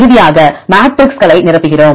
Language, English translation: Tamil, Finally, we fill the metrics